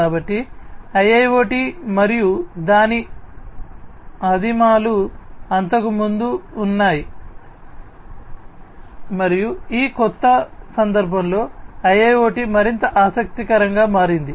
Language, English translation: Telugu, So, IIoT and its primitive have been there before as well and it is only in this new context that IIoT has become more interesting